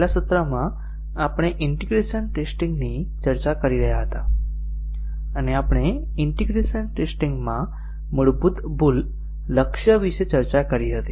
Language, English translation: Gujarati, In the last session, we were discussing integration testing, and we had discussed about the basic error target in integration testing